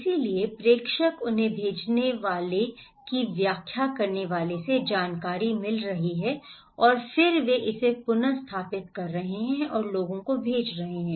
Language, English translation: Hindi, So, senders, they are getting information from senders interpreting and then they are reinterpreting and sending it to the people